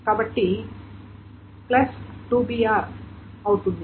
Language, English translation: Telugu, So plus 2 BR